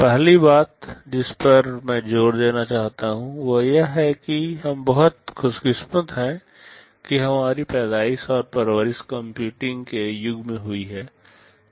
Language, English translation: Hindi, The first thing I want to emphasize is that, we have been very lucky that we have been born and brought up in an age of computing